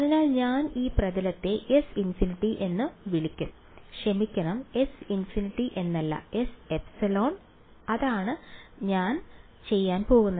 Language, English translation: Malayalam, So, I will call this surface to be S infinity sorry, not S infinity S epsilon that is what I am going to do ok